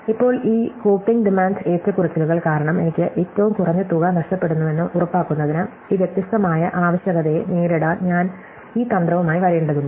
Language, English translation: Malayalam, So, now, I have to come up with this strategy to cope with this varying demand, in order to make sure that I lose the least amount of money, because of this coping demand fluctuation